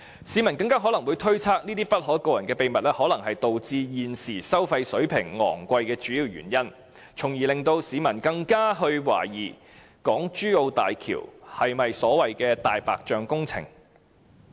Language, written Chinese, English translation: Cantonese, 市民更可能會推測這些不可告人的秘密，可能是導致現時收費水平昂貴的主要原因，因而令市民更懷疑港珠澳大橋是否所謂的"大白象"工程。, The citizens may suspect that these hidden secrets are the main reasons for the high toll levels . The citizens will therefore become more suspicious about HZMB being a white elephant project